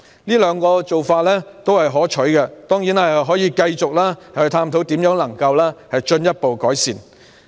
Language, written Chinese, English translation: Cantonese, 這兩個做法也是可取的，當然，當局可以繼續探討如何進一步作出改善。, These two measures are also desirable . Certainly the authorities can continue to explore how to make further improvements